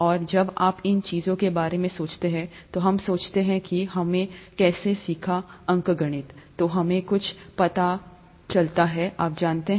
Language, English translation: Hindi, And when you think of these things, we deconstruct and deconstruct how we learnt arithmetic, then we come to realize something, you know